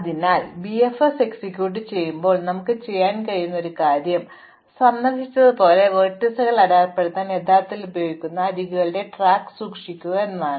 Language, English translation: Malayalam, So, one of the things we can do when we execute BFS is to keep track of those edges which are actually used to mark vertices as visited